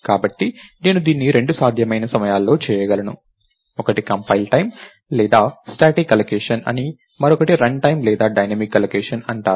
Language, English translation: Telugu, So, I could do it at two possible times, one is called compile time or static allocation, and another is called run time or dynamic allocation right